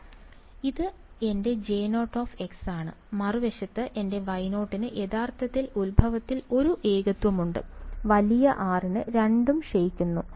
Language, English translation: Malayalam, So, this is my J 0 of x and on the other hand, my Y 0 actually has a singularity at the origin and both d k for large r ok